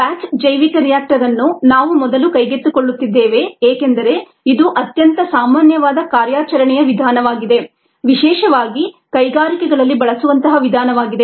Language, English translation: Kannada, the batch bioreactor ah we are first taking up because it is a very common mode of operation, especially in the industries